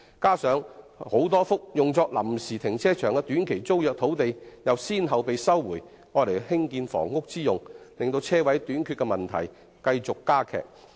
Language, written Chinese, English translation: Cantonese, 再者，多幅用作臨時停車場的短期租約土地已先後被收回作建屋之用，導致車位短缺的問題進一步加劇。, The resumption of a number of sites for housing development further aggravates the problem of parking space shortage